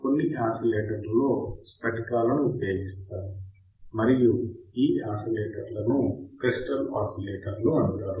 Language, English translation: Telugu, In some oscillators, crystals are used, and these oscillators are called crystal oscillators